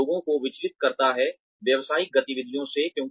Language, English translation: Hindi, It distracts people, from business activities